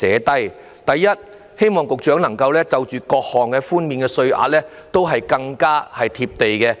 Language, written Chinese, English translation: Cantonese, 第一，希望局長推出的各項寬免稅額更"貼地"。, First I hope that the various allowances to be introduced by the Secretary can be more practical and realistic